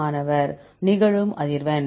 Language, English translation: Tamil, Frequency of occurrence